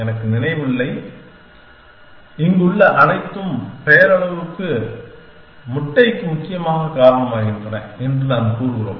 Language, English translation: Tamil, I do not remember and we say everything here cause to nominal egg essentially